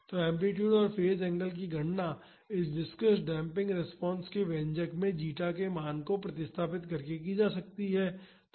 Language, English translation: Hindi, So, the amplitude and the phase angle can be calculated again by replacing the value of zeta in the expression for viscous damping response